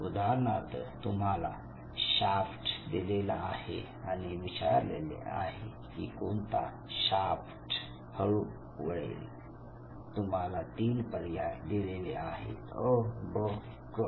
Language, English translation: Marathi, So say for example, you are shown a shaft and then you are asked with shaft will turn very slow and you have three options A B and C